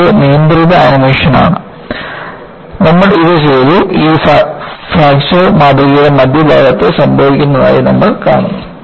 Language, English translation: Malayalam, This is a controlled animation, which we have done and you find this fracture is happening at the center of the specimen